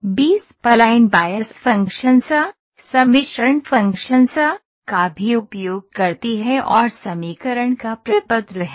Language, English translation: Hindi, A B spline can also be used the bias function or the blending function in the equation, to get to this form